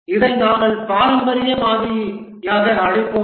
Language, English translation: Tamil, This will call as the traditional model